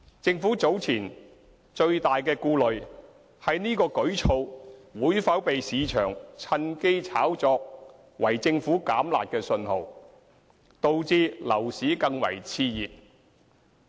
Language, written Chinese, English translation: Cantonese, 政府早前的最大顧慮，是這舉措會否被市場趁機炒作為政府"減辣"的信號，導致樓市更為熾熱。, Previously our gravest concern was whether the market would take the opportunity to hype this initiative as the Governments signal to relax the curb measures which would add to the exuberance of the property market